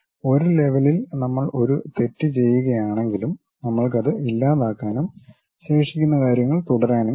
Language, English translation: Malayalam, Even if we are making a mistake at one level we can delete that, and continue with the remaining things